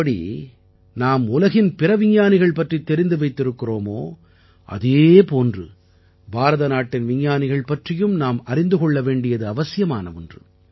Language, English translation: Tamil, The way we know of other scientists of the world, in the same way we should also know about the scientists of India